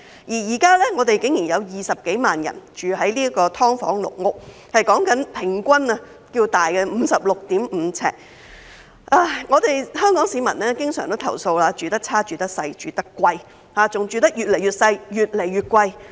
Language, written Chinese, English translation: Cantonese, 現在竟然有20多萬人住在"劏房"、"籠屋"，有關居民的人均居住面積是 56.5 平方呎。香港市民經常投訴"住得差，住得細，住得貴"，還要"住得越來越細、越來越貴"。, Surprisingly there are now over 200 000 people living in SDUs and caged homes with per capita residential floor space of 56.5 sq ft Hong Kong people are often complaining that their living conditions are poor and they live in very small but expensive places and that they are now living in even smaller and more expensive places